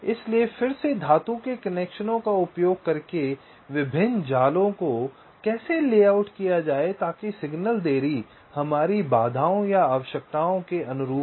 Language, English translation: Hindi, so again, so how to layout the different nets, using metal connections typically, so that the signal delays conform to our constraints or requirements